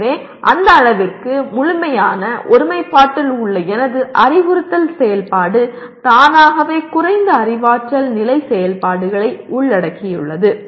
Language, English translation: Tamil, So to that extent my instructional activity which is in complete alignment automatically involves the lower cognitive level activities